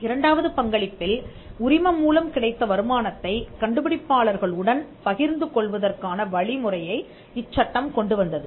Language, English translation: Tamil, In the second contribution was the Act brought in a provision to share the license income with the inventors